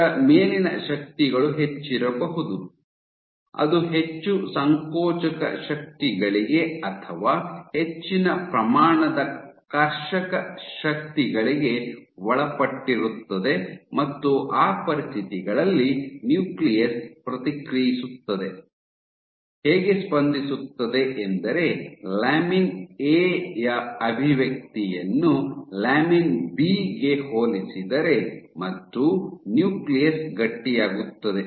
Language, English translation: Kannada, So, it is likely that the forces on it is higher, it is subjected to more compressive forces or higher amount of tensile forces and under those conditions the nucleus responds, by increasing its expression of lamin A compared to lamin B and the nucleus stiffens